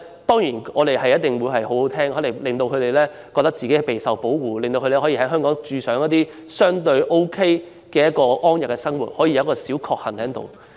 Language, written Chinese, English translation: Cantonese, 當然，這種說話很動聽，令青年人覺得自己備受保護，他們可以在香港相對安逸地生活，真是"小確幸"。, Of course this remark is very pleasant to the ears making young people feel that they are protected and they can live comfortably in Hong Kong which is really their small bliss